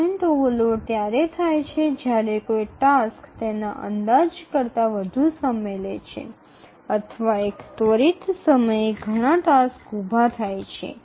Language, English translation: Gujarati, A transient overload occurs when a task takes more time than it is estimated or maybe too many tasks arise at some time instant